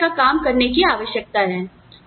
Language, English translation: Hindi, The same kind of work, needs to be done